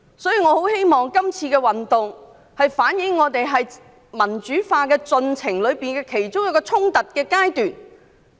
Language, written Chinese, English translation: Cantonese, 因此，我很希望這次運動反映的，是民主化進程中其中一個衝突的階段。, Thus I hope that what happened in this movement has reflected a confrontational stage in our democratization process